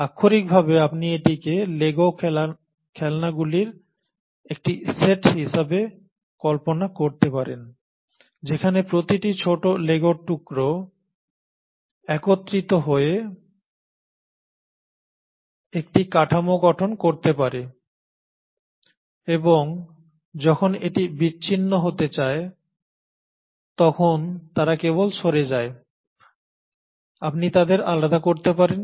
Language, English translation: Bengali, You know you can literally visualize this as a set of Lego toys where each small piece of Lego can come together to form a structure and when it want to disarray they just go, you can just separate them